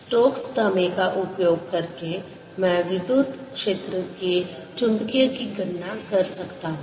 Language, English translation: Hindi, using stokes theorem, i can calculate the magnetic of the electric field